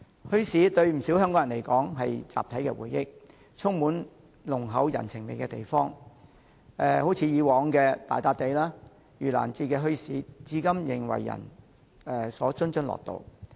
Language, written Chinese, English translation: Cantonese, 墟市對不少香港人來說是他們的集體回憶，也是充滿濃厚人情味的地方，例如以往的大笪地和盂蘭節墟市至今仍為人津津樂道。, Bazaars are part of the collective memory of many Hong Kong people and they are very friendly and hospitable places . For example people still take great delight to talk about the Gala Point and the Yu Lan Ghost Festival Bazaar in the past